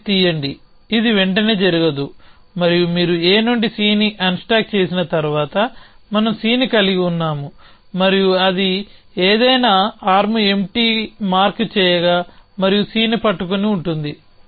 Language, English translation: Telugu, Then pick up A happens notice also that this cannot happen immediately afterwards and once you unstacks C from A we are holding C and it would produce something call mark arm empty and holding C